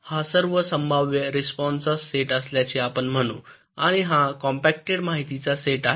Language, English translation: Marathi, lets say, this is the set of all possible responses and this is the set of compacted information